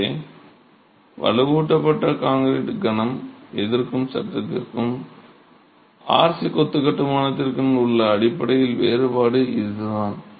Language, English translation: Tamil, So that's the fundamental difference between reinforced concrete moment resisting frame and a confined masonry construction with RC horizontal and vertical ties